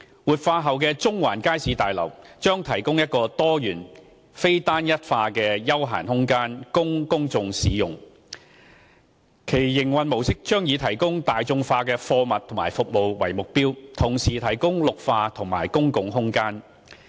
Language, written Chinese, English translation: Cantonese, 活化後的中環街市大樓將提供一個多元、非單一化的休閒空間供公眾享用，其營運模式將以提供大眾化貨品和服務為目標，同時提供綠化及公共空間。, The revitalized Central Market Building will provide a diversified and non - uniform leisure space for public enjoyment and will adopt an operation model aiming at providing affordable goods and services with greenery and public space provided